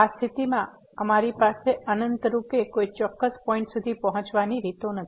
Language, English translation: Gujarati, In this case we have infinitely many paths a ways to approach to a particular point